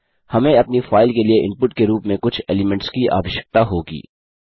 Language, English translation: Hindi, Well need some elements inside as input for our file